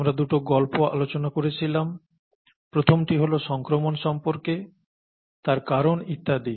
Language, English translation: Bengali, We have seen two stories so far, the first one was about infection, what causes them and so on